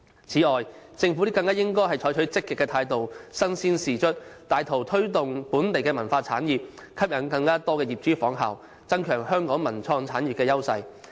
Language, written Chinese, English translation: Cantonese, 此外，政府更應採取積極態度，身先士卒，帶頭推動本地文化產業，吸引更多業主仿效，增強香港文化及創意產業優勢。, Moreover the Government should adopt a pro - active attitude and set for the public an example by taking the initiative to promote local cultural industry attracting more property owners to follow suit with a view to enhancing the edge of Hong Kongs cultural and creative industry